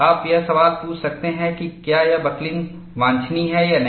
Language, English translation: Hindi, You may ask the question, whether this buckling is desirable or not